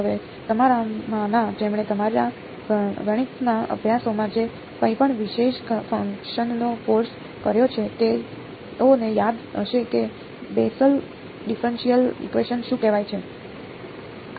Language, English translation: Gujarati, Now, those of you who have done course on special functions whatever in your math courses might recall what is called the Bessel differential equation